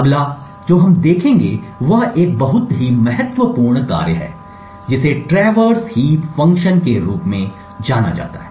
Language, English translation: Hindi, The next we will see is a very important function known as the traverse heap function